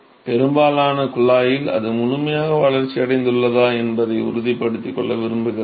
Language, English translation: Tamil, So, I just want to make sure that for most of the tube is, it is fully developed that is all